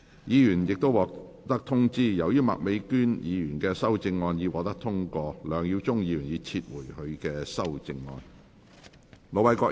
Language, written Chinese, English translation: Cantonese, 議員已獲通知，由於麥美娟議員的修正案獲得通過，梁耀忠議員已撤回他的修正案。, Members have already been informed as Ms Alice MAKs amendment has been passed Mr LEUNG Yiu - chung has withdrawn his amendment